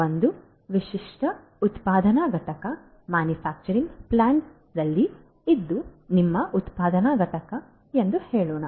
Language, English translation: Kannada, Let us say that in a typical manufacturing plant let us say that this is your manufacturing plant